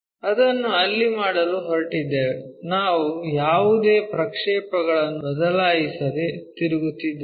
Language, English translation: Kannada, We are going to make it there we are just rotating not changing any projections